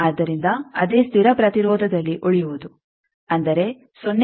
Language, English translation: Kannada, So, staying on the same constant resistance; that means, 0